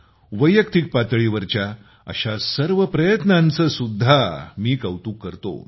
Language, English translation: Marathi, I also appreciate all such individual efforts